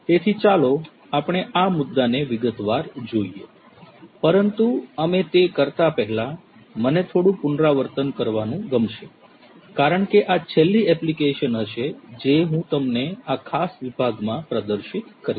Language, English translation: Gujarati, So, let us look at these issues in detail, but before we do that I would like to have a recap because this is going to be the last application that I am going to expose you to in this particular section on applications